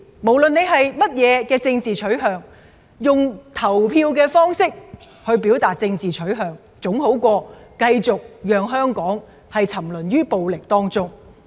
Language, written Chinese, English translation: Cantonese, 不論你持有任何政治取向，用投票的方式去表達自己的政治取向，總好過繼續讓香港沉淪於暴力中。, Regardless of your political orientation it is better to express your political orientation by way of voting than letting Hong Kong to be engulfed by violence